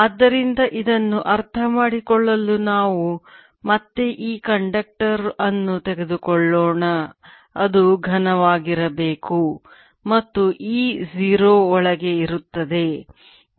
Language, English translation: Kannada, so to understand this, let us again take this conductor, which is supposed to be solid and e zero inside